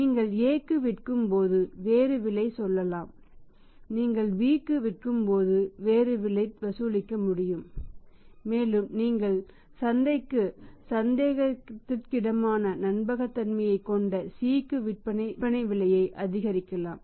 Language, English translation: Tamil, To here you can say when you are selling to A you can charge the different price when you are selling to B you can charge different price and since here your taking the maximum risk by selling to C who has a doubtful credibility in the market you can increase the price